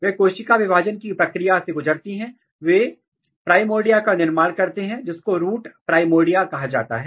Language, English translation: Hindi, They undergo the process of cell division and they generate some kind of primordia which is called root primordia